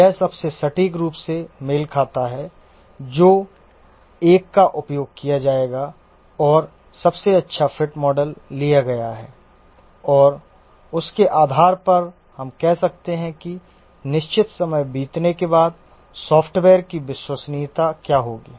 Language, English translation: Hindi, The one it matches most accurately, that will be the one to be used and the best fit model is taken and based on that we can say that after lapse of certain time what will be the reliability of the software